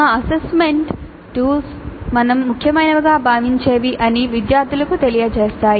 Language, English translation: Telugu, Our assessment tools tell the students what we consider to be important